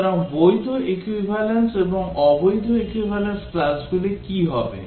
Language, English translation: Bengali, So, what will the valid equivalence and the invalid equivalence classes